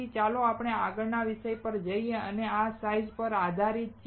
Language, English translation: Gujarati, So, anyway let us let us go to the next topic and that is based on this size